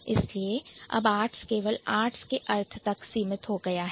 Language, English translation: Hindi, So, art has narrowed down to the meaning of only art